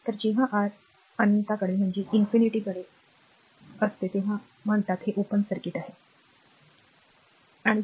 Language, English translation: Marathi, So, it is called when R tends to infinity means is says it is an open circuit, right